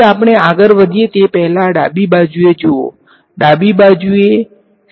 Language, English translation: Gujarati, So, before we get in to anything look at the left hand side is a left hand side a scalar or a vector